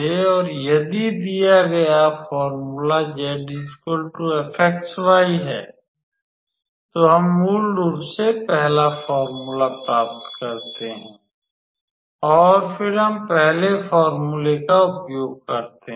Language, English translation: Hindi, So, if the given formula is z equals to f xy, then we basically obtain the first formula and then, we use the first formula